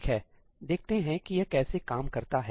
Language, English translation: Hindi, Okay, let us see how that works